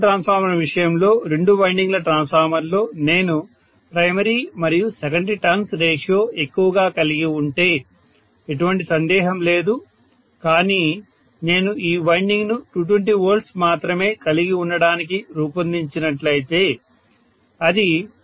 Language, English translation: Telugu, So I won’t be able to definitely multiply the capacity by a very, very large factor, in the case of an auto transformer, if I have primary to secondary turn’s ratio in the two winding transformer to be large, no doubt, but if I had designed this winding only to have 220 V, it will not withstand say 2